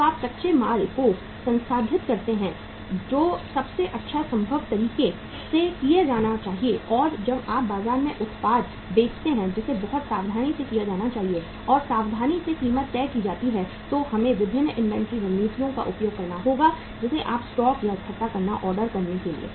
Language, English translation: Hindi, When you process the raw material that should be done in a best possible way and when you sell the product in the market that has is has to be very very carefully done and priced carefully so there we have to use the different inventory strategies like make to stock or assemble to order